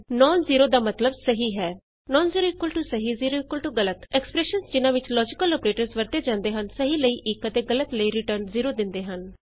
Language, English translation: Punjabi, non zero means true And zero means false Expressions using logical operators return 1 for true and 0 for false